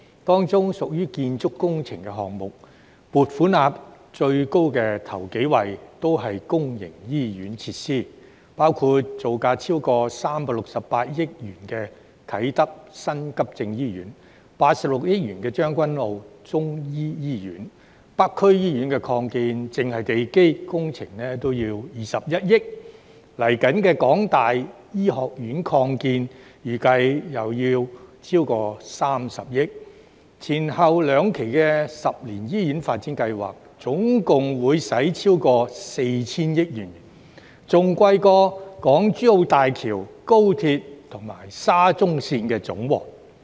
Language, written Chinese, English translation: Cantonese, 當中的建築工程項目，撥款額最高首幾位的均是公營醫院設施，包括造價超過368億元的啟德新急症醫院、86億元的將軍澳中醫醫院，而北區醫院擴建只是地基工程也要21億元，港大醫學院擴建預計又要超過30億元，前後兩期十年醫院發展計劃總共會花費超過 4,000 億元，比港珠澳大橋、高鐵和沙中綫的費用總和還要高。, The top few building works projects with the highest funding amounts involved public hospital facilities including the new acute hospital project at Kai Tak with a project cost of more than 36.8 billion and the Chinese Medicine Hospital project in Tseung Kwan O with a project cost of 8.6 billion . The foundation works of the Expansion of North District Hospital project alone involves a project cost of 2.1 billion whilst the project of Medical Complex Extension at the University of Hong Kong involves a projected cost of more than 3 billion . Moreover the two phases of the 10 - year Hospital Development Plan will involve a total cost of more than 400 billion which is higher than the total cost of the Hong Kong - Zhuhai - Macao Bridge the High Speed Rail and the Shatin to Central Link